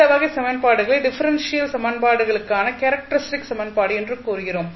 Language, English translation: Tamil, So, this will be considered as a characteristic equation of the differential equation